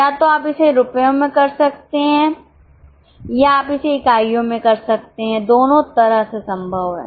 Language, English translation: Hindi, Getting it, either you can do it in rupees or you can do it in units